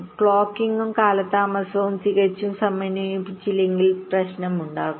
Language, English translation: Malayalam, so if the clocking and delays are not absolutely synchronized there will be problem